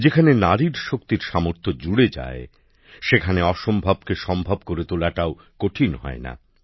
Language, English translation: Bengali, Where the might of women power is added, the impossible can also be made possible